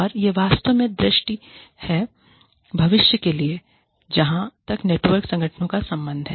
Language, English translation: Hindi, And, this is really the vision, for the future, as far as, networked organizations are concerned